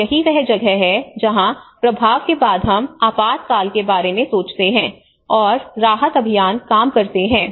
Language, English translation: Hindi, And that is where after the impact we think about the emergency, and the relief operations works on